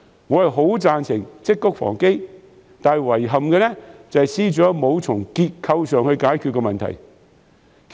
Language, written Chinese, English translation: Cantonese, 我很贊成積穀防飢，但遺憾的是，司長沒有從結構上解決問題。, I agree with the idea of preparing for the rainy days but unfortunately FS has failed to identify a structural solution